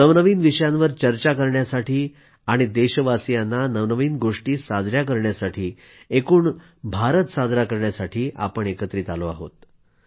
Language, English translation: Marathi, This is to discuss newer subjects; to celebrate the latest achievements of our countrymen; in fact, to celebrate India